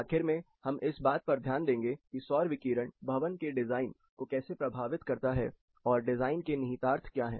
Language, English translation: Hindi, Finally, we will look at how does that affects building design, what are the design implications